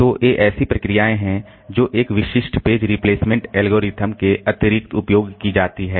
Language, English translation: Hindi, So, these are procedures that are used in addition to a specific page replacement algorithm